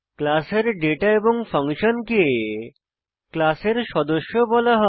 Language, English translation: Bengali, The data and functions of the class are called as members of the class